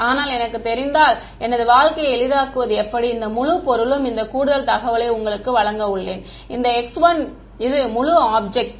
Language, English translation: Tamil, But if I know how to make my life easier I am going to give you this additional info that this entire object is this x 1 this entire object is x 1 x 2